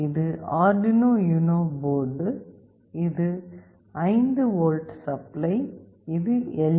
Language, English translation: Tamil, This is the Arduino UNO board, and this is the 5V supply, and this is the LED